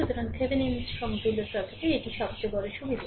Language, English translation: Bengali, So, this is the Thevenin equivalent, Thevenin equivalent circuit